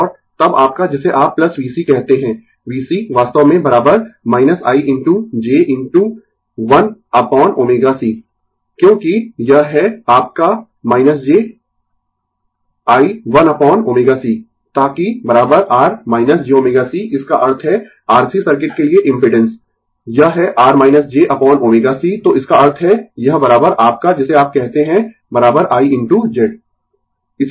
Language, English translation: Hindi, And then your what you call plus V c, V c actually is equal to minus I into j into 1 upon omega c, because this is your minus j I 1 upon omega c, so that is equal to R minus j omega c that means, impedance for the R C circuit it is R minus j upon omega c right, so that means, this is equal to your what you call is equal to I into Z